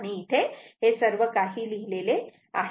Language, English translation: Marathi, So, all this write up is here